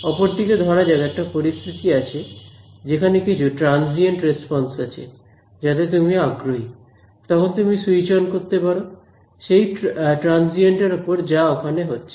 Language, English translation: Bengali, On the other hand; let us say you have a situation, where there is some transient response that you are interested in then you turn some switch on the some transient thing that happens over there